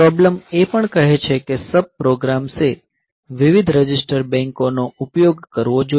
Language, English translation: Gujarati, So, the problem also says that if should the sub programs should use different register banks